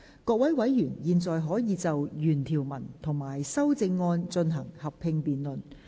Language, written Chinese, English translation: Cantonese, 各位委員現在可以就原條文及修正案進行合併辯論。, Members may now proceed to a joint debate on the original clause and the amendment